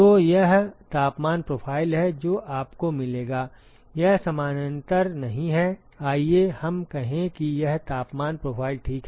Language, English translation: Hindi, So, this is the temperature profile that you would get it is not parallel let us say this is the temperature profile ok